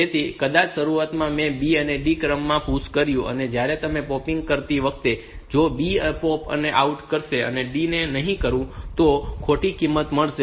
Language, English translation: Gujarati, So, maybe at the beginning I have pushed in the order B and D, while popping if I POP out B first and not D, then I will get the wrong value